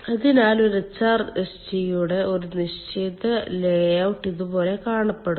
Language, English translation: Malayalam, so a horizontal layout of a hrsg looks like this